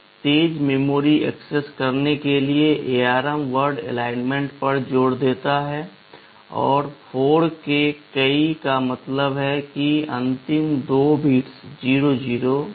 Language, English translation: Hindi, To have faster memory access, ARM insists on word alignment and multiple of 4 means the last two bits are 00